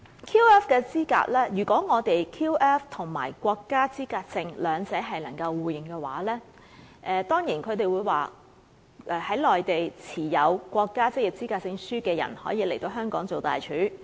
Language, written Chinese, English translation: Cantonese, 可能有人會說，如果我們的 QF 與國家職業資格證互認的話，在內地持有國家職業資格證的人，便可以來香港擔任大廚。, Someone may argue that the mutual recognition of Hong Kongs QF and the Mainlands NOQC for chefs will open the door for Mainland chefs holding NOQC to come to work in Hong Kong